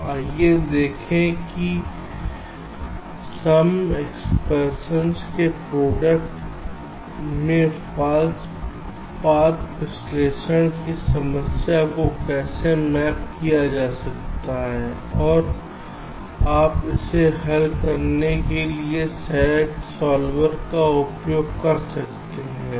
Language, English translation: Hindi, so let us see how the false path analysis problem can be mapped into a product of sum expression and you can use a sat solver